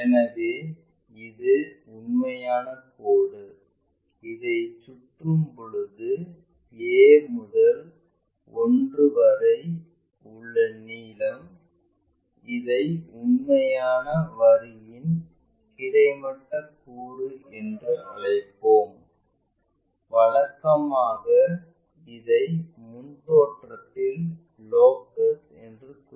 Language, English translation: Tamil, So, this is the true line, if we have rotated that whatever a to 1 that, we will call this one as horizontal component of true line and usually we represent like locus of that front view